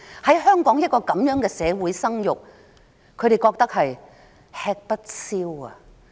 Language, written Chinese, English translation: Cantonese, 在香港這樣的社會生育，他們覺得吃不消。, They find it just too much for them to have a baby in a city like Hong Kong